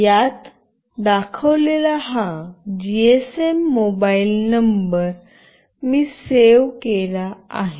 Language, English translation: Marathi, I have saved this GSM mobile number that is being displayed in this